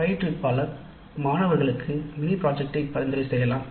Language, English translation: Tamil, Then the instructor may offer the choice of a mini project to the students